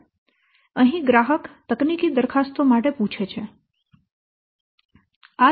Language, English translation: Gujarati, So, here the customer asks for technical proposals